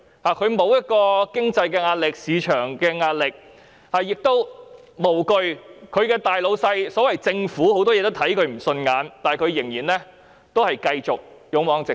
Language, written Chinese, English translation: Cantonese, 他們沒有經濟及市場壓力，即使其大老闆政府在多方面對他們看不順眼，他們亦無畏無懼，繼續勇往直前。, They are really dauntless . They are not under any financial and market pressure . Even though their boss―the Government―sees them as an eyesore in many respects they have remained dauntless and kept moving forward courageously